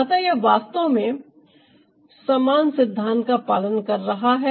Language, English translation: Hindi, so it's actually following the same principle